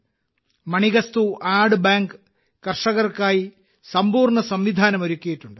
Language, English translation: Malayalam, Manikastu Goat Bank has set up a complete system for the farmers